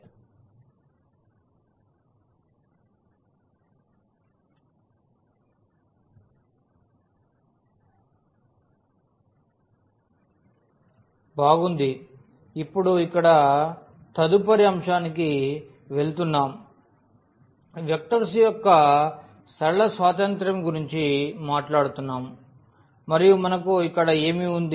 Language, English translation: Telugu, Well, so, now going to the next topic here we will be talking about linear independence of vectors and what do we have here